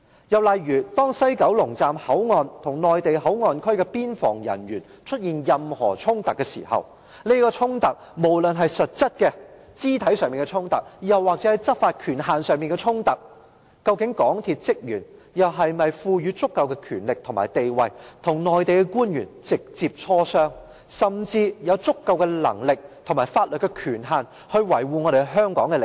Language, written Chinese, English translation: Cantonese, 又例如，當西九龍站的工作人員與內地口岸區的邊防人員出現任何衝突時，無論是實質肢體上的衝突或是執法權限上的衝突，究竟港鐵公司職員是否被賦予足夠的權力及地位，與內地官員直接磋商，甚至有足夠能力及法律權限去維護香港的利益？, Will there be any difference in law enforcement? . Again if staff working in West Kowloon Station have any conflicts with the Mainland border officials either physical conflicts or conflicts arising from the law enforcement authority will MTRCL staff be given sufficient authority and the right status to directly negotiate with the Mainland officials or will they have sufficient power and the authority for law enforcement to safeguard Hong Kongs interests?